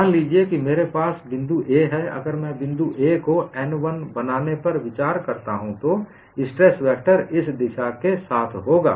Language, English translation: Hindi, Suppose I have on this point A, if I consider point A forming the surface n 1, the stress vector would be along this direction